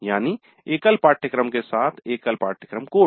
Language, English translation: Hindi, That means it is a single course with a single course code